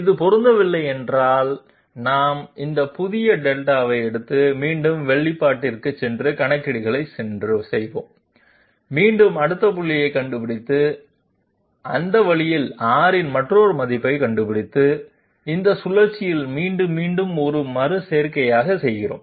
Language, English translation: Tamil, If it does not match, we take this new Delta, go back to the expression and go back to the calculations, again find out the next point and that way find out another value of R and go on repeat in this cycle as an iteration